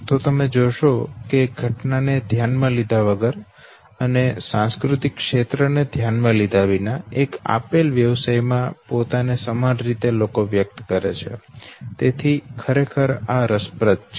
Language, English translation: Gujarati, Here you find that irrespective of the event and irrespective of the cultural back ground, people in one event profession they express themself in the same way, so this is indeed very interesting